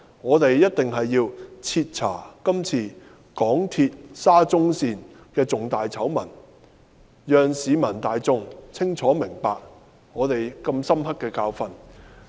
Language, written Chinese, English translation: Cantonese, 我們定必要徹查港鐵公司今次沙中線的重大醜聞，讓市民大眾清楚明白如此深刻的教訓。, We must investigate this major SCL scandal involving MTRCL so that the public will fully understand such a hard lesson